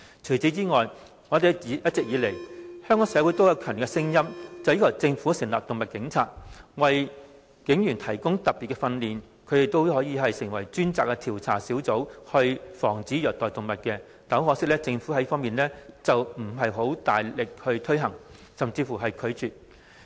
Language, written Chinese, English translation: Cantonese, 除此之外，一直以來，香港社會都有強烈聲音要求政府設立"動物警察"專隊，為警員提供特別訓練，讓他們成為專責調查小組，防止動物受虐待，但很可惜，政府沒有大力推行、甚至拒絕推行。, Moreover all along there have been strong voices in society requesting the Government to establish specialized teams of animal police comprising specially trained police officers to investigate and prevent animal cruelty . But it is a shame that the Government has never actively implemented the proposal or even declined to implement the proposal